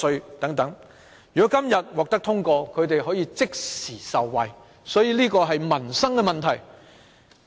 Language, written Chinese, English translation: Cantonese, 如果《條例草案》今天獲得通過，地產代理便可以即時受惠，所以這是民生問題。, If the Bill is passed today estate agents can benefit instantly . It is therefore a livelihood issue